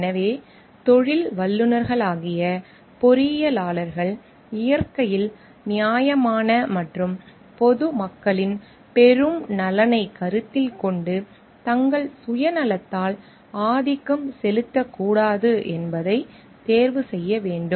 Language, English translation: Tamil, So, engineers as professionals should make choices which are fair in nature and which is in the greatest interest of the public at large and should not be dominated by their own self interest